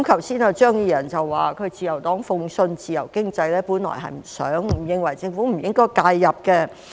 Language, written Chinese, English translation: Cantonese, 張宇人議員剛才說自由黨信奉自由經濟，本來不想並認為政府不應介入。, Mr Tommy CHEUNG said just now that the Liberal Party believes in free economy; it initially did not want the Government to intervene and thought that it should not do so